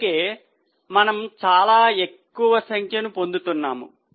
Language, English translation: Telugu, That's why we are getting very high figure